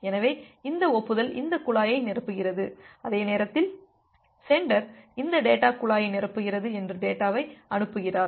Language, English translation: Tamil, So, this acknowledgement is filling up this pipe and at the same time the sender has sending the data that data is filling up this data pipe